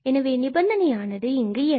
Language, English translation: Tamil, So, what is this condition here